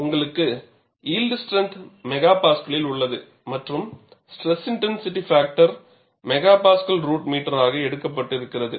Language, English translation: Tamil, And you have the yield strength in MPa and we have the stress intensity factor as MPa root meter